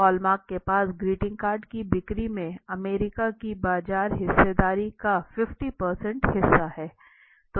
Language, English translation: Hindi, Hallmark held 50 % of market share of US in greeting card sales